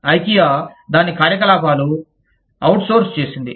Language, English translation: Telugu, Ikea had outsourced, its operations